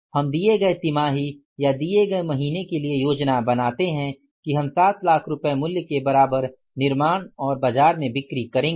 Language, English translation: Hindi, This we plan for that in given quarter or given month we will manufacture and sell in the market worth rupees several lakhs of the sales